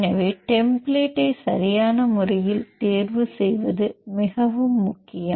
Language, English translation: Tamil, So, it is very important to choose the template appropriately